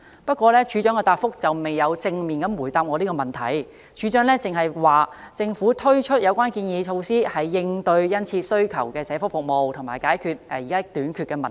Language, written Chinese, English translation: Cantonese, 不過，署長的答覆未有正面回答我的問題，署長只表示，政府推出有關建議措施是應對需求殷切的社福服務，並解決處所短缺的問題。, However the Director of Social Welfare did not give me a direct answer . She only said that the Government proposed the measures to meet the keen demand for welfare services and to tackle the problem of venue shortage